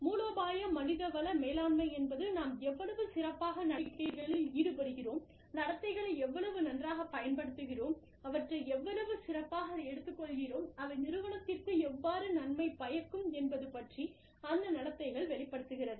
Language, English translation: Tamil, Strategic human resource management, is more a function of, how well, we bank on, and how well, we use the behaviors, how well, we elicit, how well, we takeout, bring out those behaviors, that are beneficial to the organization